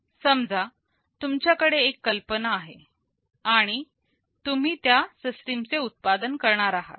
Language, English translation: Marathi, Suppose you have a design idea, you are going to manufacture the system